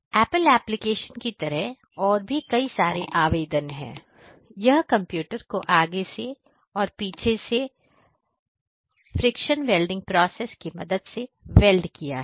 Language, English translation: Hindi, So, there are applications like this apple, you know the computer they have welded the front part as well as the you know the back part by the friction welding process